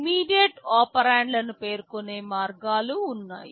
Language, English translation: Telugu, There are ways of specifying immediate operands